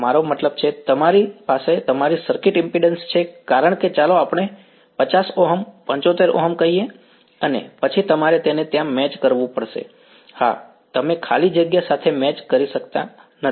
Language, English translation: Gujarati, I mean you have your circuit impedance as let us say 50 Ohms, 75 Ohms and then you have to match it over there you yeah you cannot match free space